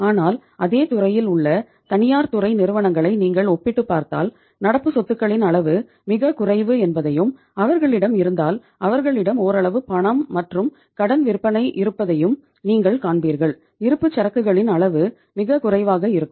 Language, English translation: Tamil, But if you compare the private sector companies in the same sector you would find that the level of current assets is very low and if they have they will have some amount of cash and credit sales, level of inventory will be very low